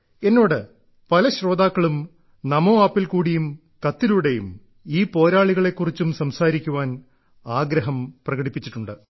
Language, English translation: Malayalam, Many listeners of Mann Ki Baat, on NamoApp and through letters, have urged me to touch upon these warriors